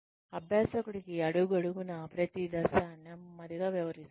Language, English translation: Telugu, Slowly explaining each step to the learner